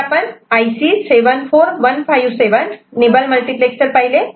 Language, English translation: Marathi, So, IC 74257 is also a nibble multiplexer